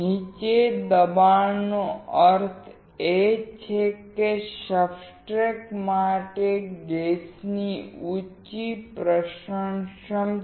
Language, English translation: Gujarati, Lower pressure means higher diffusivity of gas to substrate